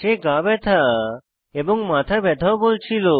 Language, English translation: Bengali, She was complaining of body pain, head ache as well